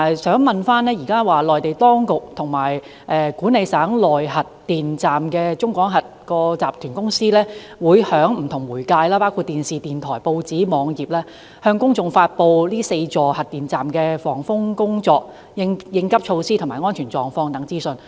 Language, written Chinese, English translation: Cantonese, 此外，內地當局和管理省內核電站的中國廣核集團有限公司會通過不同媒介，包括電視、電台、報章和網頁向公眾發布4座核電站的防風工作、變急措施及安全狀況等資訊。, Should it inform us immediately? . Also the Mainland authorities and the China General Nuclear Power Group which manages the nuclear power stations in Guangdong disseminate to the public information about the typhoon protection preparations contingency measures and safety condition of the four nuclear power stations through various media including television and radio broadcast newspapers and web pages